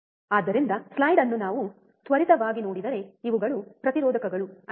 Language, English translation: Kannada, So, if we quickly see the slide these are the resistors, isn’t it